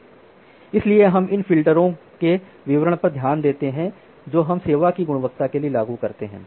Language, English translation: Hindi, So, we look into the details of these individual filters that we apply for quality of service